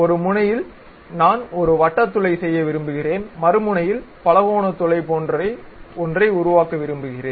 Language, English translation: Tamil, At one end I would like to make a circular hole other end I would like to make something like a polygonal hole